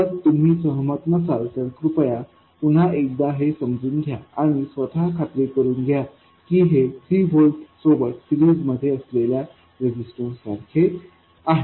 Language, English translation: Marathi, If you are not convinced, please go through the chain of reasoning once again and convince yourselves that this is the same as having 3 volts in series with a resistance